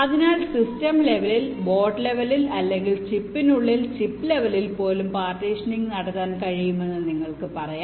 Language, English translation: Malayalam, so you can say the partitioning can be done at the system level, at the board level, or even inside the chip, at the chip level